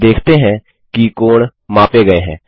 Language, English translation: Hindi, We see that the angles are measured